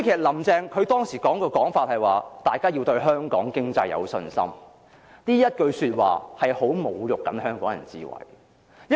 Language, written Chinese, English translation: Cantonese, "林鄭"當時的說法是，"大家要對香港經濟有信心"，但這句說話是相當侮辱香港人的智慧。, The argument given by Carrie LAM at that time was that we need to have confidence in Hong Kongs economy but this argument was an insult because it belittled the wisdom of Hong Kong people